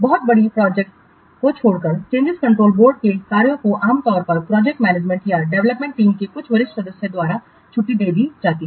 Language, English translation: Hindi, Except for very large projects, the functions of the change control board are normally discharged by the project manager or by some senior member of the development team